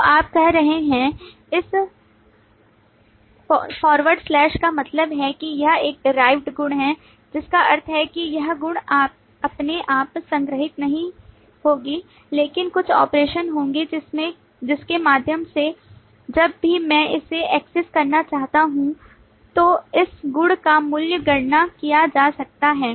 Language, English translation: Hindi, So you are saying this forward slash means that this is a derived property, which means that this property by itself will not be stored, but there will be some operation through which the value of this property can be computed whenever I want to access it